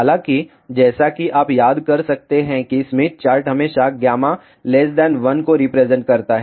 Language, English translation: Hindi, However, as you might recall Smith chart always represents gamma less than 1